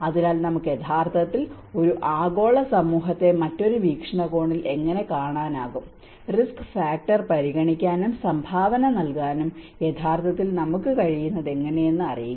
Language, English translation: Malayalam, So, how we can actually look a global community in a different perspective know, how we are actually able to consider and contribute to the risk factor